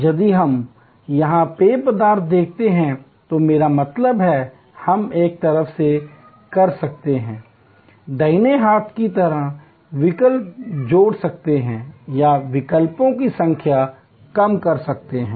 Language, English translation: Hindi, If we look here beverages, I mean, we can on one hand, add choices on the right hand side or reduce the number of choices